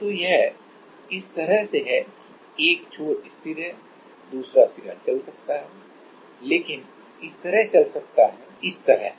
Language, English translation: Hindi, So, it is like this that one end it is fixed and another end can move, but like this can move, but like this